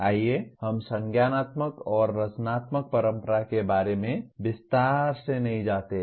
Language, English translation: Hindi, Let us not elaborate on cognitivist and constructivist tradition